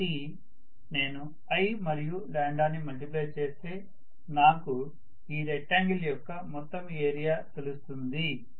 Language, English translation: Telugu, So if I multiply i and lambda together I get the complete area of the rectangle